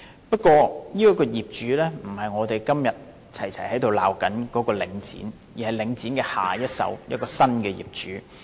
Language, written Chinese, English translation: Cantonese, 不過，這個業主不是我們今天齊聲責罵的領展房地產投資信託基金，而是領展的下一手，亦即新的業主。, However this owner is not Link Real Estate Investment Trust Link REIT that we have been criticizing in unison today but the successor of Link REIT and that is the new owner